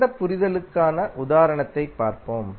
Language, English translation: Tamil, Let us see the example for better understanding